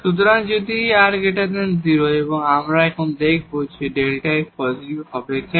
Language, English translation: Bengali, So, if this r is positive, we will see now here that delta f will be positive why